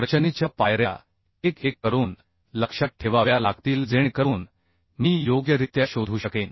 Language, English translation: Marathi, So we have to remember the design steps one by one so that I can find out suitably